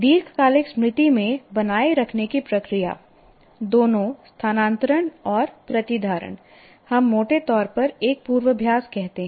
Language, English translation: Hindi, Now we talk about the process of retaining in the long term memory, both transfer as well as retention, what we broadly call rehearsal